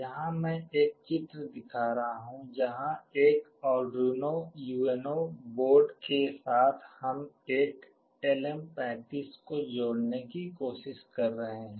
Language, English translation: Hindi, Here I am showing a diagram where with an Arduino UNO board we are trying to connect a LM35